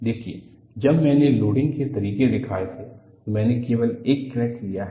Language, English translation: Hindi, See, when I had shown the modes of loading, I have taken only one crack